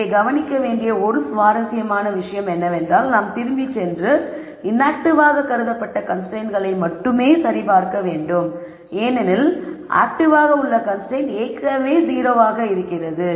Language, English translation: Tamil, An interesting thing to note here is we have to go back and check only the constraints that we have as sumed to be inactive because the active constraint is already at 0